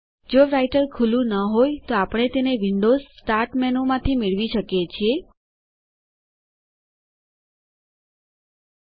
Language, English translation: Gujarati, If Writer is not open, we can invoke it from the Windows Start menu